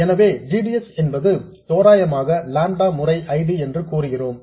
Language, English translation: Tamil, So, we say that GDS is approximately lambda times ID